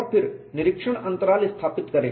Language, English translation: Hindi, Then you do the inspection intervals